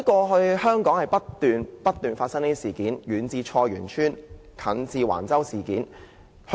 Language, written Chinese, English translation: Cantonese, 香港過去不斷發生這類事情，遠至菜園村，近至橫洲事件。, Such kinds of incidents have happened incessantly in Hong Kong such as the Choi Yuen Tsuen incident in the distant past and the recent Wang Chau incident